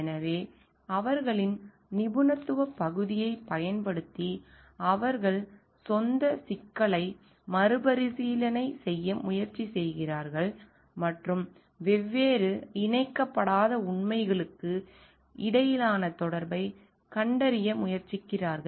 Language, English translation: Tamil, So, and using their area of expertise they try to make meaning of something in the own way, and try to revisit the problem and to find out like the connection between different unconnected facts